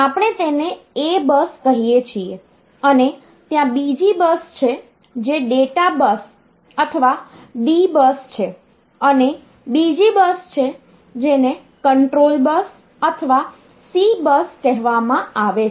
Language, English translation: Gujarati, So, is known as the address bus we call it the A bus there is another bus which is the data bus or D bus and there is another bus which he called the control bus or the C bus